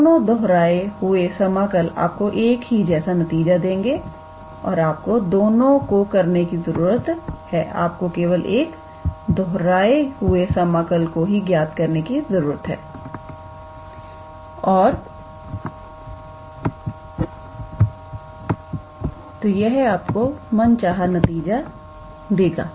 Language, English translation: Hindi, Both the repeated integral would give you the same result like here and you do not have to do both of them you just have to calculate at least just one of the repetitive integral and that will be a required answer